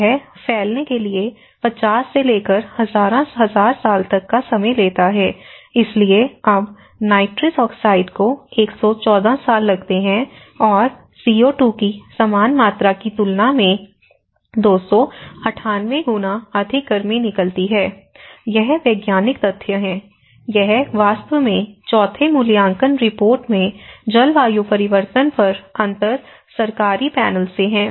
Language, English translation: Hindi, And this takes about anywhere from 50 to 1000’s of years to you know get diffused and so now, nitrous oxide it takes 114 years and releases more heat about 298 times than the same amount of CO2, so this is the scientific facts that which talk about, this is actually from the Intergovernmental Panel on climate change in the fourth assessment report